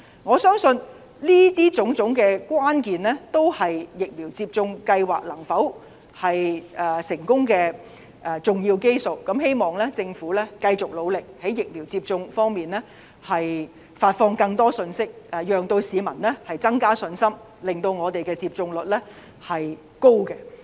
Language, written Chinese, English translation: Cantonese, 我相信上述種種關鍵，都是疫苗接種計劃能否成功的要素，希望政府繼續努力，在疫苗接種方面發放更多信息，以增加市民的信心，令我們有一個高的接種率。, I believe all of the above critical factors are decisive to the success of the vaccination programme . I hope the Government will keep on working hard by making public more messages concerning the vaccination programme with a view to enhancing public confidence and ensuring a high vaccination rate